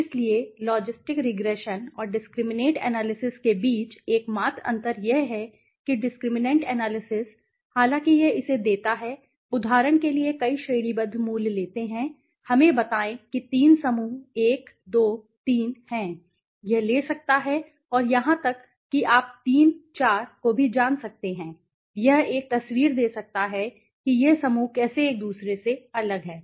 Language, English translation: Hindi, So, the only difference between the logistic regression and the discriminant analysis is that the discriminant analysis is although it gives a it takes multiple you know categorical values for example let us say there are 3 groups 1, 2, 3, it can take that and it can even you know 3, 4, it can give a picture of how this groups are different from each other